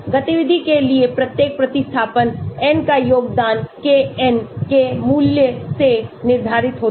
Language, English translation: Hindi, The contribution of each substituent n to activity is determined by the value of Kn